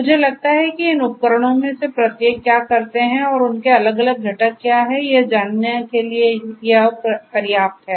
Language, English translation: Hindi, I think this is sufficient just to get an overall idea of what each of these tools do and what are their different component